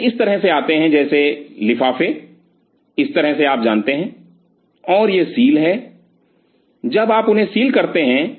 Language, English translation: Hindi, So, they come like this something like the envelopes like this you know, and this is the sealing when you seal them